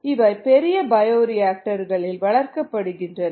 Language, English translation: Tamil, these are grown in large bioreactors